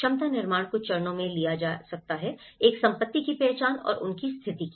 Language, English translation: Hindi, The capacity building can be taken in few steps; one is the identification of assets and their condition